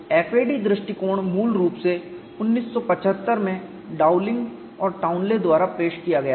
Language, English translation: Hindi, The FAD approach was originally introduced in 1975 by Dowling and Townlay